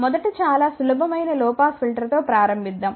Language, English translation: Telugu, First let us start with the very simple low pass filter